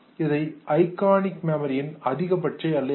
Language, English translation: Tamil, That is the capability of the iconic memory, limitation